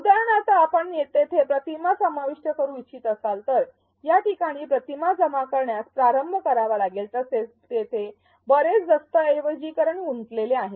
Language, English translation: Marathi, For example, if you want to insert images you have to start collecting the images at this point, there is a lot of documentation involved